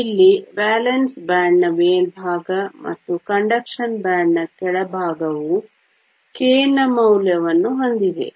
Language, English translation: Kannada, Here the top of the valence band and bottom of the conduction band have the same value of K